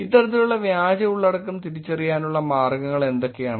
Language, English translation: Malayalam, What are the ways to actually identify this kind of fake content